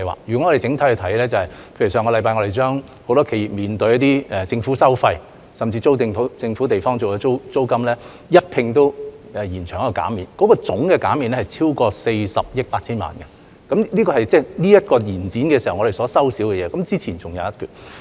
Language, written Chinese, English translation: Cantonese, 若從整體來看，例如我們上星期對許多企業所面對的政府收費、甚至租用政府處所的租金，一併延長減免期，總減免額超過40億 8,000 萬元，這是這個延展期我們所少收的，之前還有一筆。, For example last week we announced the extension of the waiversconcessions of government fees and charges faced by many enterprises and even of the rental concessions applicable to government properties . The total amount of waivers and concession will exceed 4.08 billion . This is the revenue forgone in this extension period and there was another sum preceding it